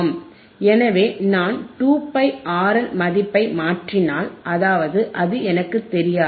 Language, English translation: Tamil, So, if I substitute the value 2 pi R L, which is I do not know